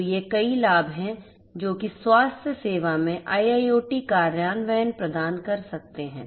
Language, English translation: Hindi, So, these are some of the main benefits that IIoT implementation in healthcare can provide